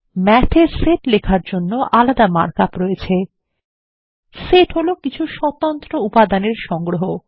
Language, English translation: Bengali, Math has separate mark up to represent Sets, which are collections of distinct elements